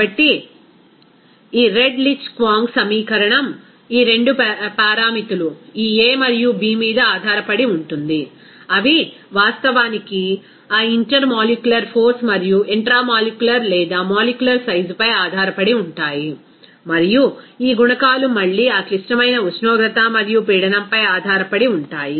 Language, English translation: Telugu, So, this again that this Redlich Kwong equation depending on these 2 parameter this a and b, those are actually depending on that intermolecular force and intramolecular or molecular size there, and this coefficients are again depending on that critical temperature and pressure, and by this correlation, you can directly calculate or estimate the value of a and b